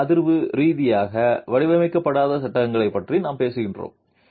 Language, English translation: Tamil, And we are talking of frames which are not designed seismically